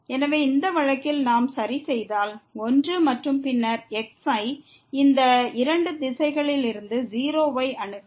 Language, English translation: Tamil, So, in this case if we fix is equal to 1 and then, approach to 0 from this two directions